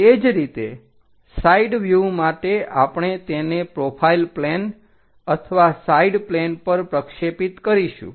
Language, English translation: Gujarati, Similarly, for side view we will projected it on to profile plane or side plane